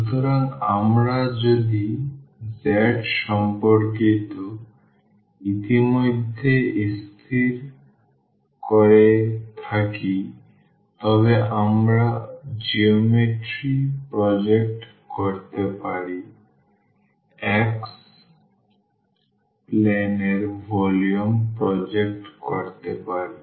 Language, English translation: Bengali, So, if we have fixed already with respect to z then we can project the geometry, the volume to the xy plane